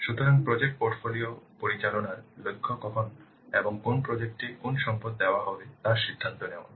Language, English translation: Bengali, So project portfolio management, MSSART deciding which resource will be given when and to which project